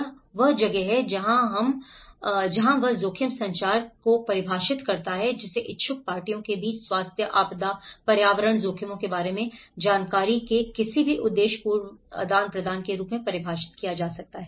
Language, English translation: Hindi, So, this is where he defines the risk communication is defined as any purposeful exchange of information about health, disaster, environmental risks between interested parties